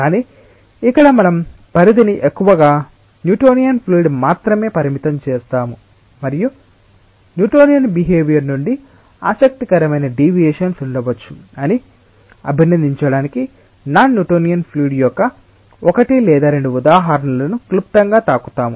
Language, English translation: Telugu, but here we will confine our scope mostly to newtonian fluids and we will briefly touch upon one or two examples of non newtonian fluid, just to appreciate that there may be interesting deviations from the newtonian behavior